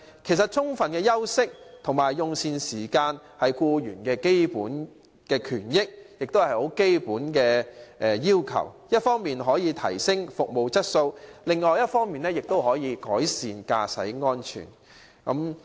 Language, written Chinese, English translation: Cantonese, 其實充分的休息和用膳時間是僱員的基本權益，亦是很基本的要求，一方面可以提升服務質素，另一方面也可以改善司機的駕駛安全。, We are worried about the implementation of the guidelines in future . In fact having adequate rest and meal time is the basic right and the essential demand of employees to improve service quality on the one hand and enhance driving safety on the other